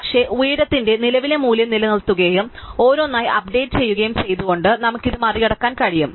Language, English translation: Malayalam, But, we can get around this by just keeping the current value of the height and updating it each then